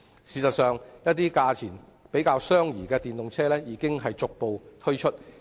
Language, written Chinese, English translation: Cantonese, 事實上，價錢較相宜的電動車已逐步推出。, In fact more affordable electric vehicles have gradually rolled out